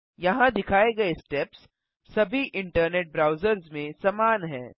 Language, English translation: Hindi, The steps shown here are similar in all internet browsers